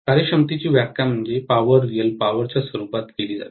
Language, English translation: Marathi, The efficiency is defined as in terms of power, real power